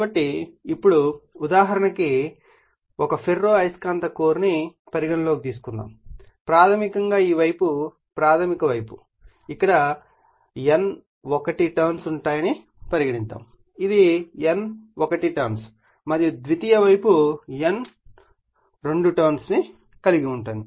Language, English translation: Telugu, So, now, for example, suppose, if you consider your what you call a ferromagnetic core and you have your primary this side we call primary side say you have N1 number of turns here, it is N1 number of turns and you have the secondary you have N2 number of turns